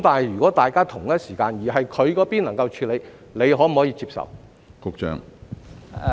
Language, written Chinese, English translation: Cantonese, 如果大家同一時間進行，而署方那邊能夠處理，局方可否接受？, If both tasks are carried out at the same time and TD is able to handle can the Bureau accept it?